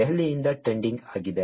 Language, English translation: Kannada, Trending is from Delhi